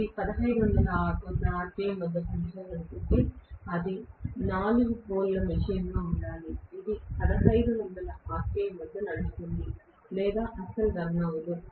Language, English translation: Telugu, If it has to run at 1500 rpm it has to be a 4 pole machine, it will run at 1500 rpm or not run at all